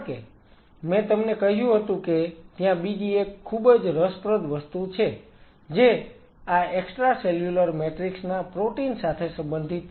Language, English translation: Gujarati, Because I told you there is another very interesting thing which is related to this extracellular matrix protein there is coming back to this picture